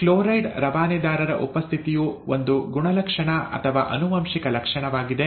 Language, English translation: Kannada, The presence of the chloride transporter is a character or a heritable feature, okay